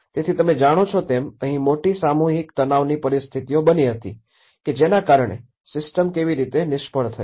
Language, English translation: Gujarati, So, that is where you know the larger collective stress situations took place that how the system has failed